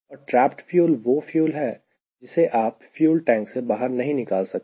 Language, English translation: Hindi, and the trapped fuel is some fuel which you cannot take it out from the fuel tank